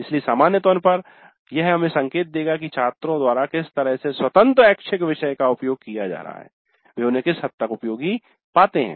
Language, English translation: Hindi, So this in general will give us an indication as to in what way the open electives are being used by the students to what extent they find them useful